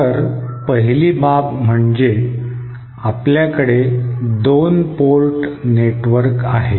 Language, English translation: Marathi, So the first aspect is that we have our two port network